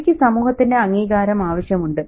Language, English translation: Malayalam, And Ravi's need for validation by the society